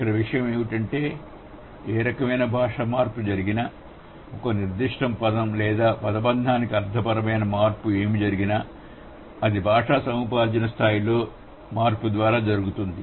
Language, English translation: Telugu, So, the concern here is that whatever language change is happening, what are the semantic change is happening for a particular word or a phrase, it goes to the change at the language acquisition level